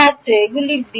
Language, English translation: Bengali, These are b